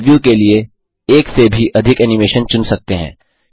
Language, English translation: Hindi, You can also select more than one animation to preview